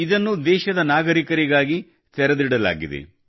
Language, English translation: Kannada, It has been opened for the citizens of the country